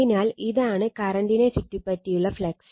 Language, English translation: Malayalam, So, this is that your flux surrounding current right